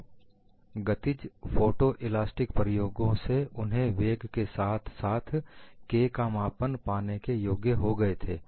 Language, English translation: Hindi, So, from dynamic photo elastic experiments, they were able to get the measurement of velocity as well as K and what does this show